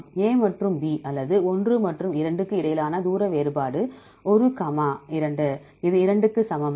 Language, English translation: Tamil, Distance difference between A and B or 1 and 2, one comma two, that is equal to 2